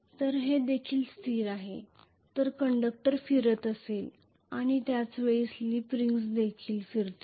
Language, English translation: Marathi, So this is also stationary whereas the conductor will be rotating and simultaneously the slip rings will also be rotating